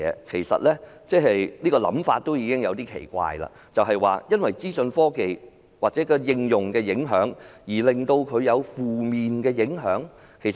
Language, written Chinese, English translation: Cantonese, 其實，這種想法也有點奇怪，為何資訊科技的應用會對旅遊業有負面的影響？, Actually this idea is a bit strange as well . Why would the application of information technology have adverse impact on the travel industry?